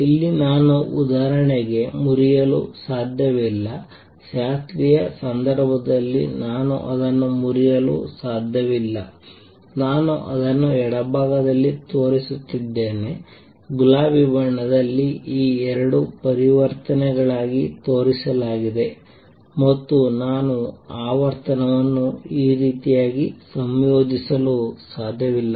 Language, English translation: Kannada, Here I cannot break for example, in the classical case I cannot break I am showing it on the left, the transition shown in pink into these two transitions and therefore, I cannot combine frequency in such a manner